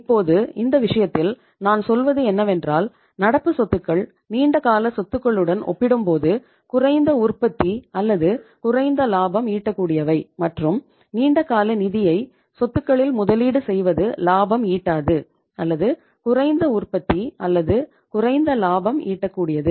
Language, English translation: Tamil, Now in this case I would say that I am saying that current assets are less productive or less say say profitable as compared to the long term assets and investment of the expensive funds that is the long term funds into the assets which are either not productive, not profitable, or least productive or least profitable should be as low as possible